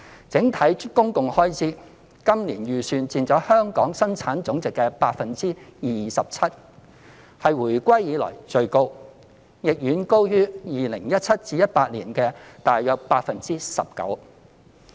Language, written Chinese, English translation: Cantonese, 在整體公共開支方面，今年的預算佔香港的本地生產總值 27%， 是回歸以來最高，亦遠高於 2017-2018 年度的約 19%。, As far as the overall public expenditure is concerned the estimated expenditure for this year is set at 27 % of the Gross Domestic Product GDP which will represent the highest expenditure to GDP ratio since reunification far higher than the figure recorded in 2017 - 2018